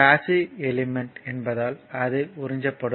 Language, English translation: Tamil, So, because it is a passive element it will absorbed power